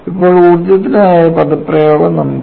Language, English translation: Malayalam, So, now, we have the expression for energy